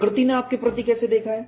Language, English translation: Hindi, How nature as looked at you